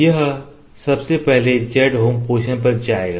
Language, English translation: Hindi, It will first went to z home position